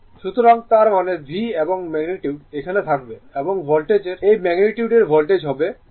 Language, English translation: Bengali, So, that means, V will be is and magnitude will be here and this magnitude of the Voltage here magnitude of the Voltage will be V is equal to right